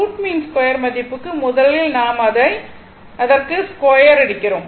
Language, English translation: Tamil, For root mean square value, first we are squaring it square